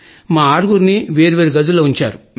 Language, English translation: Telugu, All six of us had separate rooms